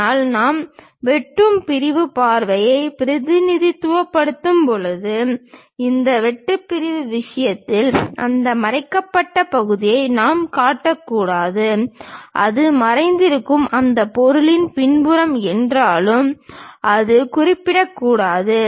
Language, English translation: Tamil, But, when we are representing cut sectional view, we should not show that hidden part on this cut sectional thing; though it is a back side of that object as hidden, but that should not be represented